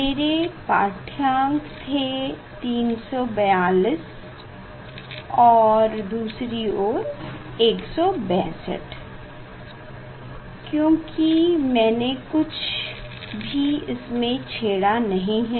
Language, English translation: Hindi, my reading was of 342 and 162 the other side, because I have not disturbed anything